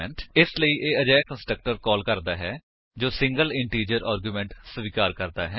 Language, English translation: Punjabi, Hence it calls the constructor that accepts single integer argument